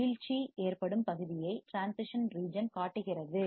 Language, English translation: Tamil, Transition region shows the area where the fall off occurs